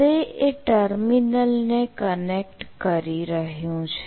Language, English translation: Gujarati, now it is connecting terminal, right, ok